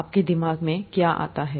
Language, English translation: Hindi, What comes to your mind